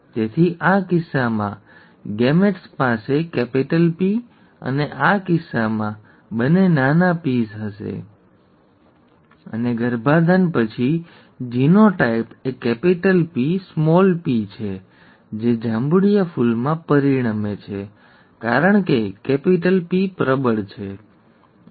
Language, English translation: Gujarati, So the gametes would have both capital P, in this case, and both small ps in this case; and upon fertilization, the genotype is capital P small p, which are, which results in a purple flower because capital P is dominant, right